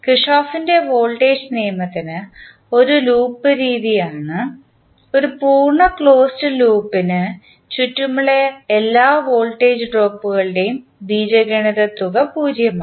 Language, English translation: Malayalam, For Kirchhoff’s voltage law, we also say that it is loop method in which the algebraic sum of all voltage drops around a complete close loop is zero